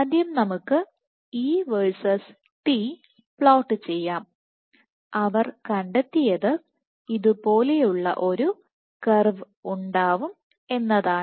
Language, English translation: Malayalam, So, what they found let us first plot E versus T, and what they found was this curve looked something like this